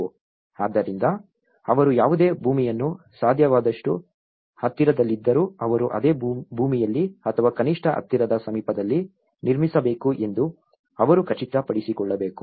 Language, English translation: Kannada, So, they have to ensure that whatever the land the nearest possible vicinity so, they need to build on the same land or at least in the nearby vicinity